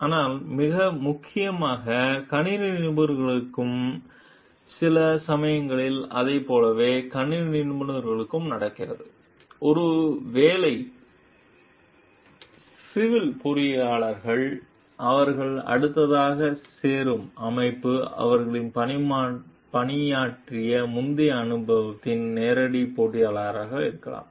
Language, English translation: Tamil, But mainly for the computer professionals and sometimes like it so, happens like for the computer professionals, maybe the civil engineers, the organization that they are joining next is a direct competitor of the earlier organization that they worked for